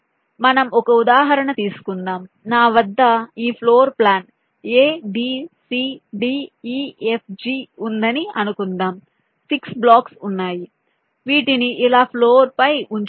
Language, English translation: Telugu, suppose i have a floor plan like this: a, b, c, d, e, f, there are six blocks which are placed on the floor like this